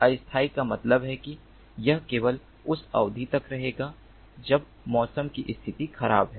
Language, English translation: Hindi, temporary means that it will last only for the duration when the weather condition is bad